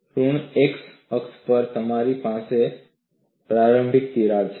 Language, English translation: Gujarati, On the negative x axis, you have the initial crack